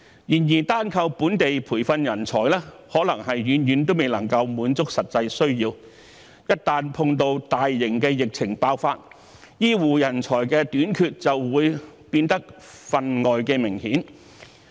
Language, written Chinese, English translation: Cantonese, 然而，單靠本地培訓人才，可能遠遠未能滿足實際需要，一旦碰到大型的疫情爆發，醫護人才短缺的問題便會變得份外明顯。, However solely relying on locally trained talents may be far from sufficient to meet the actual needs . In the event of a large epidemic outbreak the problem of shortage of healthcare talents will become particularly obvious